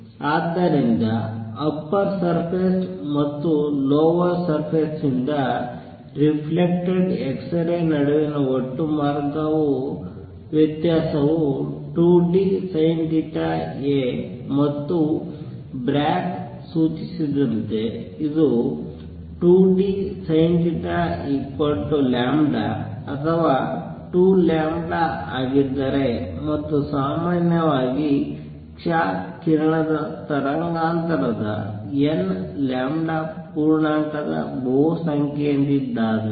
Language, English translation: Kannada, So, total path difference between the x rays reflected from the upper surface and the lower surface is 2 d sin theta, and what Bragg suggested that if 2 d sin theta is equal to lambda or 2 lambda and so on in general n lambda integer multiple of the wavelength of the x ray